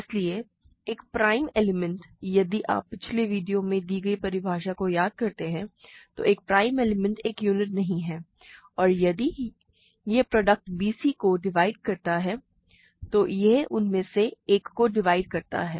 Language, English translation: Hindi, So, a prime element if you recall the definition I gave in the last video, a prime element is not a unit and if it divides a product bc, it divides one of them